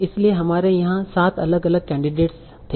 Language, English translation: Hindi, So we had seven different candidates here